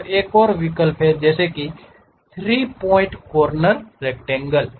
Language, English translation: Hindi, Here there is another option like 3 Point Corner Rectangle